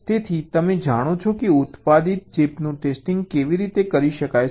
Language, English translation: Gujarati, so you know how ah manufacture chip can be tested